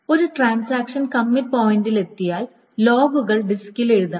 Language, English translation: Malayalam, So if once a transaction reaches the commit point, the logs, et cetera, must be written on the disk